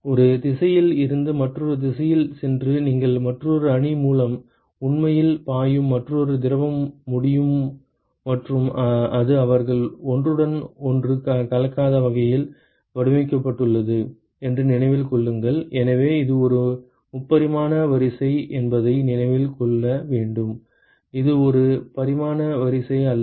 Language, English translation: Tamil, Going from one direction to the other direction and you can have another fluid which is actually flowing through the other matrix and it is designed in such a way that they are not mixing with each other remember that it is; so you must remember that it is a three dimensional array it is not a two dimensional array